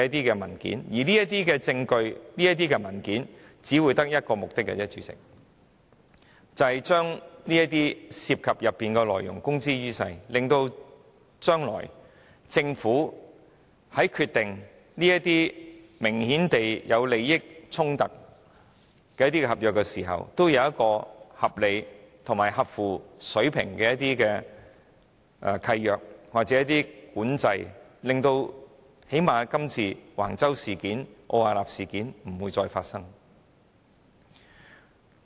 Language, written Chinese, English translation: Cantonese, 我們要獲取證據和文件的唯一目的，便是要把當中涉及的內容公諸於世，使政府在將來須決定一些明顯有利益衝突的合約時，會有合理和合乎水平的契約和管制，最低限度確保類似這次橫洲和奧雅納的事件不會再發生。, The sole purpose of obtaining evidence and documents is to make the contents therein public so that the Government when determining contracts with an obvious conflict of interest in future will put in place reasonable and up to standard agreements and control to at least ensure that incidents similar to the one involving Wang Chau and Arup will not happen again